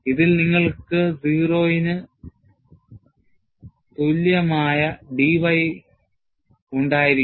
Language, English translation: Malayalam, You will have d y equal to 0 in this